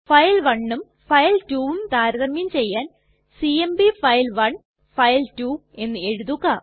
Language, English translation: Malayalam, To compare file1 and file2 we would write cmp file1 file2